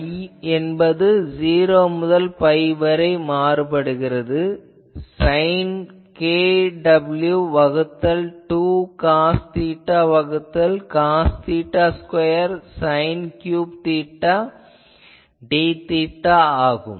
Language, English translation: Tamil, So, that I is 0 to pi sin k w by 2 cos theta by cos theta square sin cube theta d theta; sin cube theta d theta so this